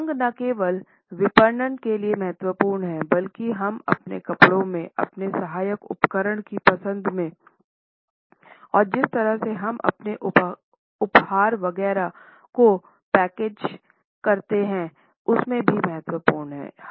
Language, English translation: Hindi, Colors are not only important for marketing, but we find that in our clothing, in our choice of accessories, in the way we package our gifts etcetera